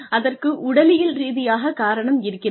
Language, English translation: Tamil, There is a physiological reason for it